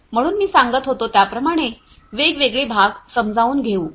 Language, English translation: Marathi, And so as I was telling you let us continue you know explaining the different parts